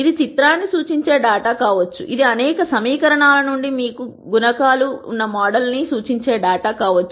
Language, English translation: Telugu, It could be data which represents a picture; it could be data which is representing the model where you have the coe cients from several equations